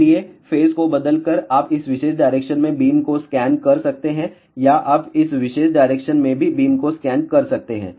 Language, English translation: Hindi, So, by changing the phase you can scan the beam in this particular direction or you can also scan the beam in this particular direction